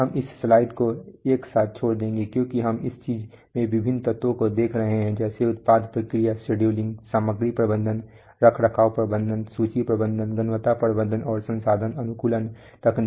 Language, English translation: Hindi, We will speak, we will skip this slide all together because we do not want to, so we are just looking at the various elements in this thing like product process scheduling, material handling, maintenance management, inventory management, quality management, and resource optimization technology